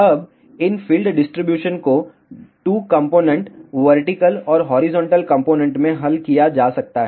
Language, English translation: Hindi, Now, these field distributions can be resolved into 2 components vertical and horizontal component